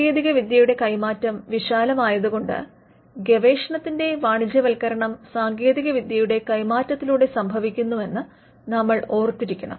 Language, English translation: Malayalam, Now, how does transfer of technology, because transfer of technology is the broader thing, whenever we talk about commercialization of research commercialization of research happens through transfer of technology